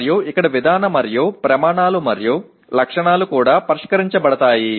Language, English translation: Telugu, And here Procedural and Criteria and Specifications are also addressed